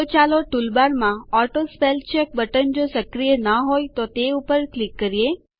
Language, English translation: Gujarati, So let us click on the AutoSpellCheck button in the toolbar if it is not enabled